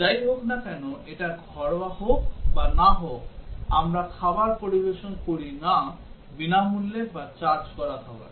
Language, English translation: Bengali, Irrespective, whether it is domestic or not, we do not serve meals neither free nor charged meals